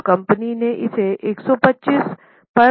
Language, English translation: Hindi, Now, company has made it at 125